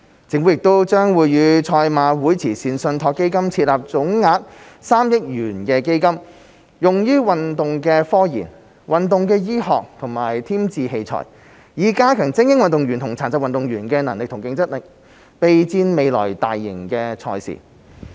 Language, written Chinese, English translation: Cantonese, 政府亦將與賽馬會慈善信託基金設立總額3億元的基金，用於運動科研、運動醫學和添置器材，以加強精英運動員和殘疾運動員的能力和競爭力，備戰未來大型賽事。, The Government will also set up a fund of 300 million with the Hong Kong Jockey Club Charities Trust to conduct research in sports science and sports medicine and purchase extra equipment so as to gear up athletes and athletes with disabilities for mega sports events in the future